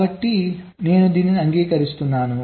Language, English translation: Telugu, so i am accepting this